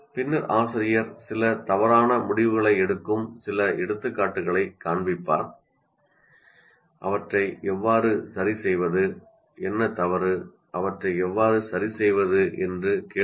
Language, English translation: Tamil, And then the teacher shows some examples where certain wrong decisions are made and asks what is wrong and how to fix them